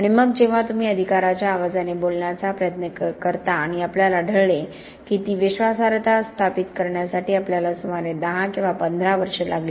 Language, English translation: Marathi, And then when you sought to talk with some voice of authority, and we found that it took us about 10 or 15 years to establish that credibility